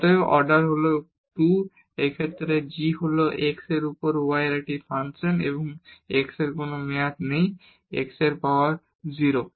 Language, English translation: Bengali, So therefore, the order is 2 and in this case this g is a function of y over x and here there is no term of x so, x power 0